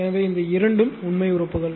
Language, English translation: Tamil, So, this is actually this two are real parts